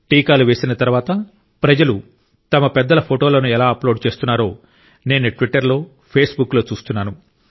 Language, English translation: Telugu, I am observing on Twitter Facebook how after getting the vaccine for the elderly of their homes people are uploading their pictures